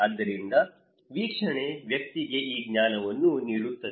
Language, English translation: Kannada, So, hearing an observation will give this knowledge to the person